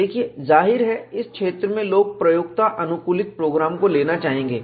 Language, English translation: Hindi, See, obviously, in the field, people would like to have user friendly program